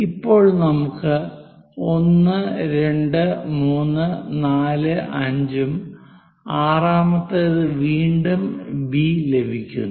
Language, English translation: Malayalam, So, A begin with that 1, 2, 3, 4, 5; the sixth one is again B